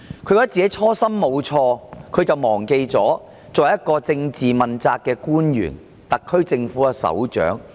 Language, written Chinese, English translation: Cantonese, 她有這樣的想法，就是忘記她是一名政治問責官員、特區政府的首長。, The reason why she had such an idea was that she has forgotten her status as the head of the SAR Government and an official under the political accountability system